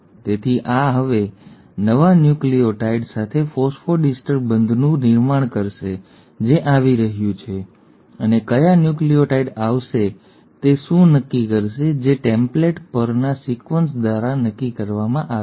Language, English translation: Gujarati, So this will now form of phosphodiester bond with a new nucleotide which is coming in and what will decide which nucleotide will come in; that is decided by the sequences on the template